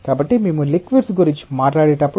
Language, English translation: Telugu, So, when we talk about liquids